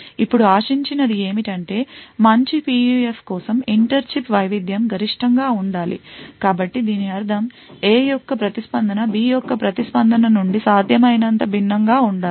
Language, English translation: Telugu, Now what is expected is that for a good PUF the inter chip variation should be maximum, so this means that the response of A should be as different as possible from the response of B